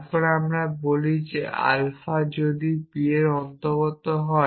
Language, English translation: Bengali, Then we say that if alpha belongs to p then alpha belongs to s p